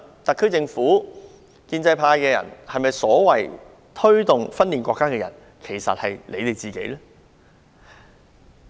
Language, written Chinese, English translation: Cantonese, 特區政府及建制派人士口中所謂推動分裂國家的人，其實是否指他們自己？, May I ask the SAR Government and the pro - establishment camp are you referring to yourselves when you say that there are people promoting the so - called acts of secession?